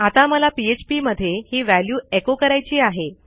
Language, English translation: Marathi, So, now what I want to do in Php is, echo out this value